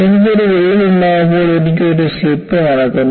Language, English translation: Malayalam, So, when I have a crack, I have a slip that takes place